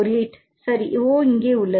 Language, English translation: Tamil, 8, right, O is here